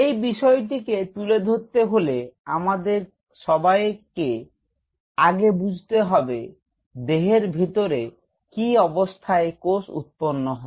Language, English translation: Bengali, In order to address this point first of all we have to understand under what conditions of cells grow inside the body